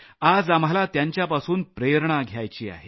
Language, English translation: Marathi, Today, we shall draw inspiration from them